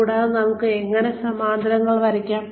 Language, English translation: Malayalam, And, how do we draw parallels